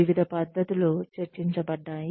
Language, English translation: Telugu, Various methods were discussed